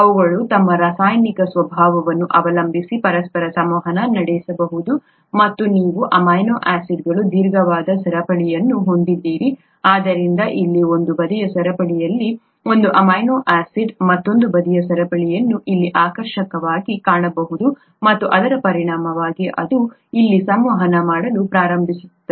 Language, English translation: Kannada, They could interact with each other depending on their chemical nature and you have a long chain of amino acids, so one amino acid here on one side chain could find another side chain attractive here, and therefore it will start interacting here as a result it will bend the entire protein here, right